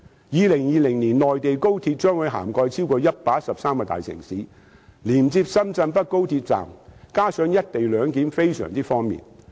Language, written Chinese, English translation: Cantonese, 2020年內地高鐵將會覆蓋超過113個大城市，連接深圳北高鐵站，再加上實施"一地兩檢"，非常方便。, In 2020 the Mainlands express rail link network will cover more than 113 major cities . Our connection to Shenzhenbei Railway Station together with the implementation of the co - location arrangement will bring much convenience